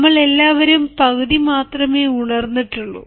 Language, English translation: Malayalam, all of us are only half awake